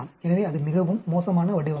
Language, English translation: Tamil, So, that is a very bad design